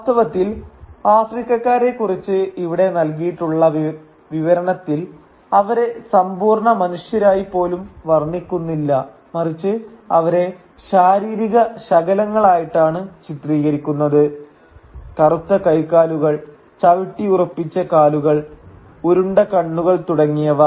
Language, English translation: Malayalam, In fact, the description here doesn’t even depict Africans as complete human beings, rather they are depicted as physical fragments as black limbs, stamping feet, rolling eyes and so on